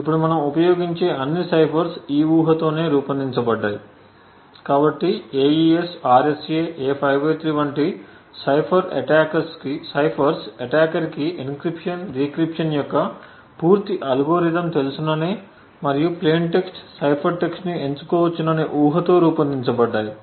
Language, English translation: Telugu, Now all ciphers that we use today in practice are designed with this assumption so ciphers such as the AES, RSA, A5/3 and so on are designed with the assumption that the attacker knows the complete algorithm for encryption, decryption and can choose plain text and cipher text and the only secret is the secret key